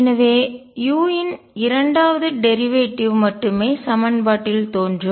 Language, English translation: Tamil, So, that only the second derivative of u appears in the equation